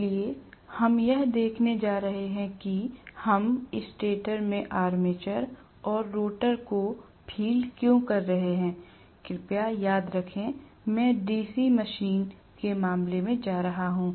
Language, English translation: Hindi, So, we are going to see why we are having the armature in the stator and fielding the rotor, please remember, in the case of DC machine I am going to